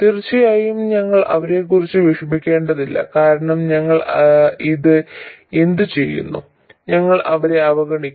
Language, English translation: Malayalam, Of course we won't have to worry about them because what do we do with this we just neglect them